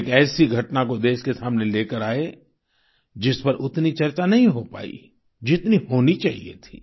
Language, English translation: Hindi, He has brought to the notice of the country an incident about which not as much discussion happened as should have been done